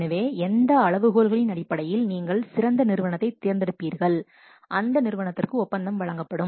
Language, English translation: Tamil, So, based on what criteria you will select that which is the best firm and the contract will be awarded to that firm